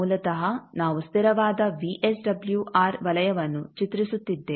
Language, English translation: Kannada, Basically, we are drawing a constant VSWR circle